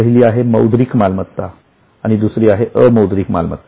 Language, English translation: Marathi, One is a monetary one, the other one is non monetary